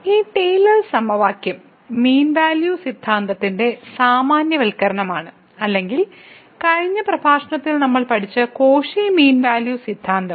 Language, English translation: Malayalam, So, this Taylor’s formula which is a generalization of the mean value theorem or the Cauchy's mean value theorem which we have learned in the last lecture